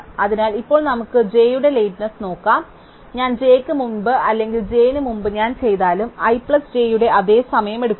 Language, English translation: Malayalam, So, now let us look at the lateness of j, so it is from the ends i plus j take the same amount of time, whether I do i before j or j before i